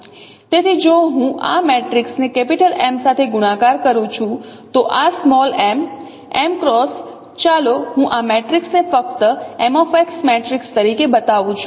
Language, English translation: Gujarati, So, if I multiply this matrix with M, so this M cross, let me call this matrix as simply M cross matrix